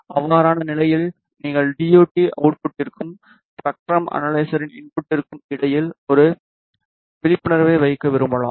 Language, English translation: Tamil, In that case you may want to put an attenuator in between the DUT output and the input of the spectrum analyzer